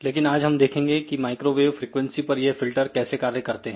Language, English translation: Hindi, Today we are going to talk about microwave filters